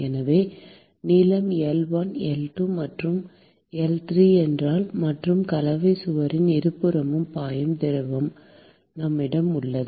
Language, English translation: Tamil, So, if the length is L1, L2 and L3; and we have fluid which is flowing on either side of the Composite wall